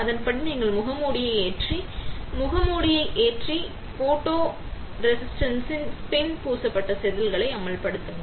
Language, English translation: Tamil, Next step is, you load the mask, load mask and expose the wafer, which is spin coated with photoresist